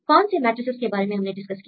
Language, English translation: Hindi, So, what are the matrices we discussed